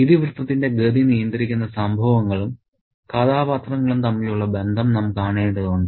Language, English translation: Malayalam, So, we need to see the connection between events and about the characters who do the navigation of the plot